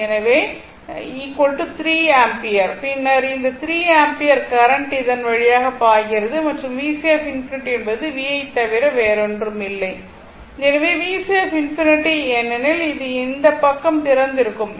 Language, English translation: Tamil, So, is equal to 3 ampere right, then this 3 ampere current is flowing through this and V C infinity is nothing but the V; because voltage act was this is resistor 60, right